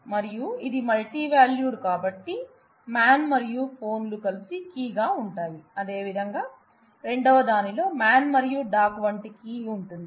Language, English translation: Telugu, And since it is multivalued so, man and phones together continues to form the key, similarly in the second one the man and dog like is the key